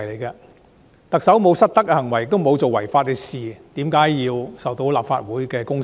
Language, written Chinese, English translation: Cantonese, 特首沒有失德的行為，也沒有做違法的事，為何要受到立法會的公審？, The Chief Executive has not committed any misconduct nor anything unlawful . Why is she being subjected to a public trial in the Legislative Council?